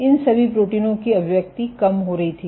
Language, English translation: Hindi, So, expression of all these proteins was going down